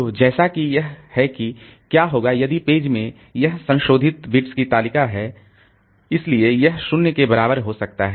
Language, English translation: Hindi, So, as a result what will happen is that if this in the page table the modified bit, so this modified bit, so it may become equal to 0